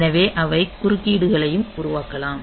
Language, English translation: Tamil, So, they can also generate interrupts